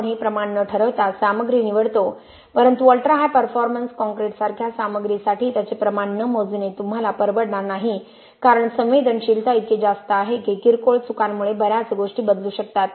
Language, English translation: Marathi, We select materials without quantifying this but for an ultra high performance concrete like material you cannot afford not to quantify it because the sensitivity is so high that a minor mistakes can change a lot of different things